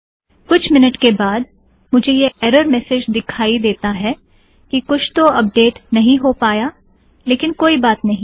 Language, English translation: Hindi, After a few minutes, I get this error message that something can not be updated, so it doesnt matter